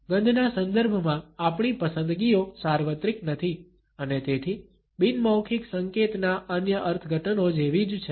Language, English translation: Gujarati, Our preferences in terms of smell are not universal and therefore, similar to other interpretations of non verbal codes